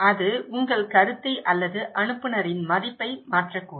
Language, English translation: Tamil, That may change your perception or the image of the sender